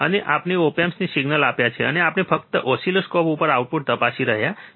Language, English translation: Gujarati, And we have given the signal to the op amp, and we are just checking the output on the oscilloscope